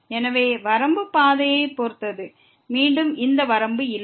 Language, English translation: Tamil, Therefore, the limit depends on the path and again, this limit does not exist